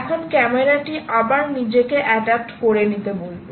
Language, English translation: Bengali, now camera is again got to adapt itself